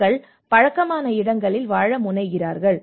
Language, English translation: Tamil, People tend to live in the places where they are habituated to